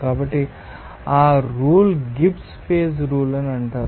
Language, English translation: Telugu, So, that rule is called the Gibbs phase rule